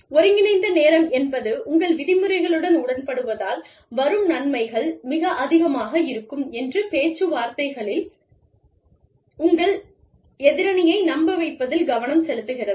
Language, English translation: Tamil, Integrative bargaining is, refers to the focus, it refers to, convincing your counterpart, in negotiations, that the benefits of agreeing with your terms, would be very high